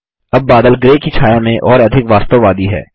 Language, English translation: Hindi, The cloud now has a more realistic shade of gray